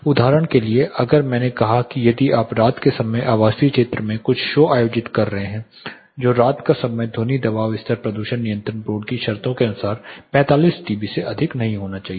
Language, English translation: Hindi, Say if I am like I said if you are conducting some show in the residential area in the night time, the night time sound pressure level should not exceed 45 dB as per the pollution control board terms